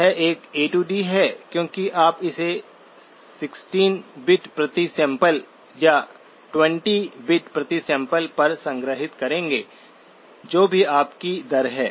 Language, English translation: Hindi, It is an A to D because you will store it at 16 bits per sample or 20 bits per sample whatever is your rate